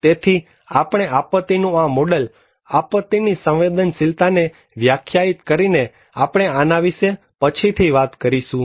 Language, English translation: Gujarati, So, we have this model of disaster, defining disaster vulnerability, we will talk this one later on